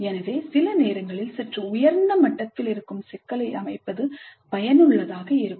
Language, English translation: Tamil, So sometimes it may be useful to set a problem which is at a slightly higher level